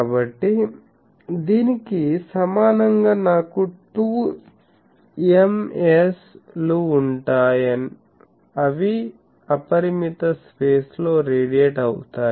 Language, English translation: Telugu, So, this equivalently I will have 2 Ms, radiating in unbounded space